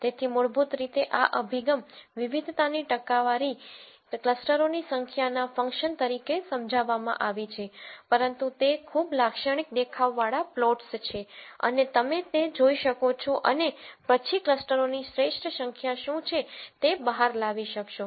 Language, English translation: Gujarati, So, basically this approach uses what is called a percentage of variance explained as a function of number of clusters but those are very typical looking plots and you can look at those and then be able to figure out what is the optimal number of clusters